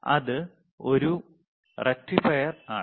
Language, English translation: Malayalam, It is a rectifier, right